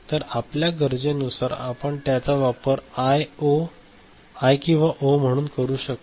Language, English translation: Marathi, So, depending on our requirement we can use it as I or O